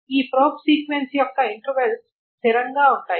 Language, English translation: Telugu, So the intervals of this probe sequence remain fixed